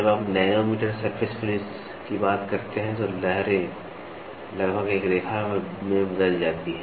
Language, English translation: Hindi, When you talk about nanometer surface finish, the undulations are almost converted into a line